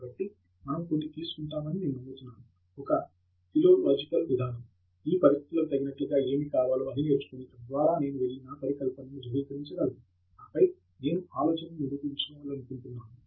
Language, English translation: Telugu, So, I believe that we take some kind of a philolological approach, that is given these conditions what is it that I need to learn, pick up, so that I can go and validate my hypothesis, and then, go for the idea that I want to prove